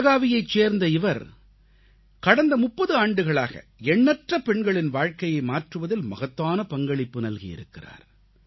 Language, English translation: Tamil, For the past three decades, in Belagavi, she has made a great contribution towards changing the lives of countless women